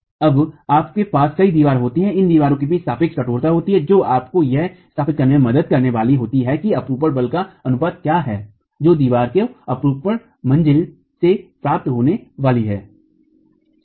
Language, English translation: Hindi, Then you have several walls, the relative stiffnesses between these walls is going to help you establish what is the proportion of shear force that the wall is going to get from the story shear itself